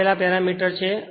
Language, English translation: Gujarati, These are the parameters given